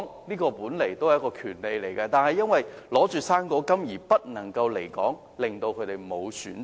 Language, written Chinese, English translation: Cantonese, 離港本來也是一種權利，但他們卻因領取"生果金"而不能離港，令他們沒有選擇。, After all leaving Hong Kong is also a right to which elderly persons are entitled but as recipients of fruit grant they have been deprived of such a choice